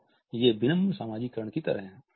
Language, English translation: Hindi, So, these are like polite socialize